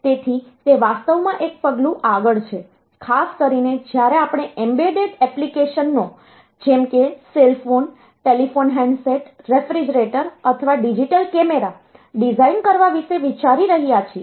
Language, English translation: Gujarati, So, it is actually one step ahead particularly when we are thinking about designing say embedded applications like say cell phone or say a telephone handset or say refrigerator, so that way what is a digital camera